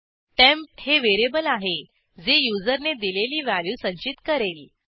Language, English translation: Marathi, Click on Save temp is a variable and stores the value entered by user